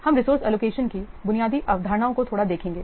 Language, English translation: Hindi, Now let's see what is the result of the resource allocation